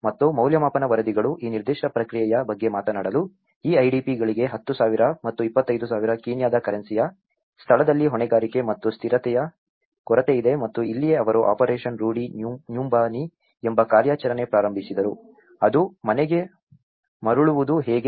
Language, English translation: Kannada, And evaluation reports talk about this particular process lacks accountability and consistency in a location of 10,000 and 25,000 Kenyan currency for these IDPs and this is where, they also started an operation called operation Rudi nyumbani, which is the how to return to home